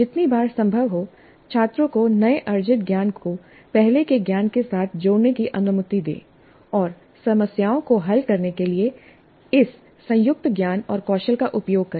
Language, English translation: Hindi, So as often as possible, allow the students to combine the newly acquired knowledge with the earlier knowledge and use this combined knowledge and skills to solve problems